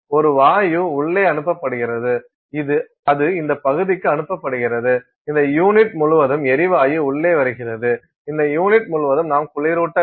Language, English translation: Tamil, There is a gas being sent in, that is being sent into this region and all around this unit the gas comes in here and all around this unit you have cooling